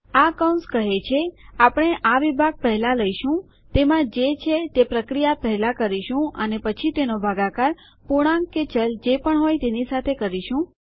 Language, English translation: Gujarati, The brackets will say well take this operation first, do whatever is in here and then continue to divide by whatever this could be an integer or a variable